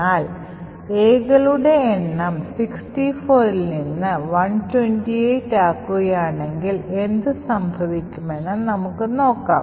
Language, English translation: Malayalam, On the other hand, if we increase the size of A from say 64 to 128 let us see what would happen